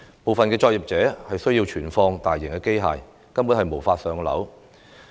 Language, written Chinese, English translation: Cantonese, 部分作業需要存放大型機械，根本無法"上樓"。, It is impossible for some operations to move upstairs as they have large machinery to store